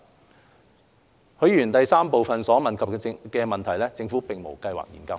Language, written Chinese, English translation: Cantonese, 三許議員質詢第三部分所問及的問題，政府並無計劃研究。, 3 With respect to part 3 of Mr HUIs question the Government has no plan to conduct such a study